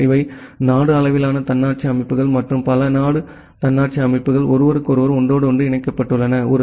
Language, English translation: Tamil, Then this these are the kind of country level autonomous systems and multiple country autonomous systems are interconnected with each other